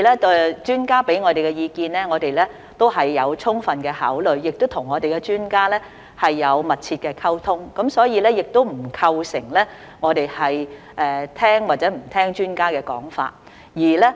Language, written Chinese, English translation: Cantonese, 第二，專家給予我們的意見，我們都有充分考慮，我們亦有與專家密切溝通，所以並不存在我們聽不聽從專家說法的問題。, Secondly we have fully considered all the advice given to us by the experts and communicated closely with them so there is no question of whether we follow expert opinion or not